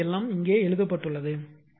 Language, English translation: Tamil, So, this is everything is written here for you